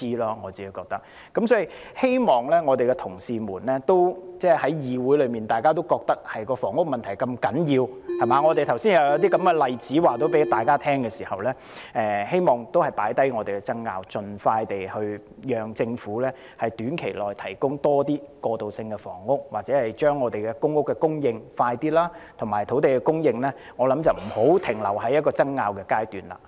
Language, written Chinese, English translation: Cantonese, 因此，既然議會內的同事都認為房屋問題如此重要，而我剛才又向大家舉出了例子，讓議員知悉情況，我希望大家可放下爭拗，盡快讓政府在短期內提供更多過渡性房屋或加快供應公屋，而我亦認為土地供應也不應停留在爭拗的階段。, In view of this since Honourable colleagues in the legislature all consider the housing problem so important and I have given Members an example just now to apprise them of the situation I hope we can set aside our differences to enable the Government to provide more transitional housing in the short term or expedite the supply of public housing as soon as possible . I also think that on land supply we should not remain at the stage of having disputes